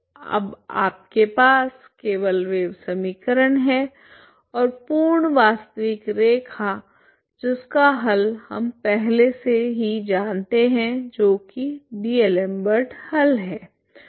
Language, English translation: Hindi, Now what you have is simply wave equation and the full real line that is whose solution we already know ok that is D'Alembert solution